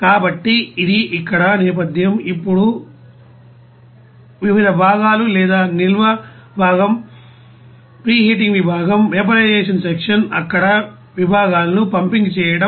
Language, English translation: Telugu, So this is the background here, now different sections of the plant or like you know storage section, preheating section, vaporization section, pumping sections there